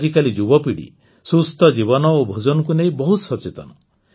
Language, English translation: Odia, Nowadays, the young generation is much focused on Healthy Living and Eating